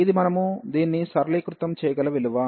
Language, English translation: Telugu, So, this is a value we can simplify this